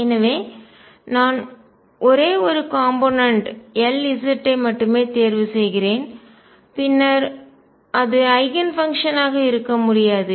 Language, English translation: Tamil, So, I choose only 1 component L z and then I cannot that cannot be the Eigen function